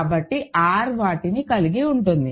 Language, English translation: Telugu, So, R contains them